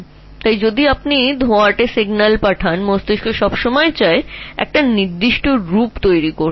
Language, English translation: Bengali, So if you give ambiguous signal the brain will always try to form a certain thing